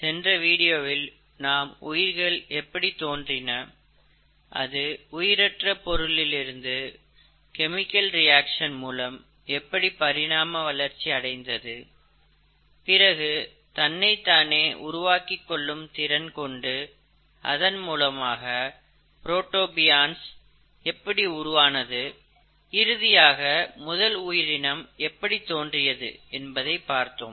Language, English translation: Tamil, In the last video we spoke about origin of life and how life evolved from non living things, essentially through chemical reactions, and then the ability of these early synthesized molecules to self replicate and eventually formation of protobionts and then the early form of life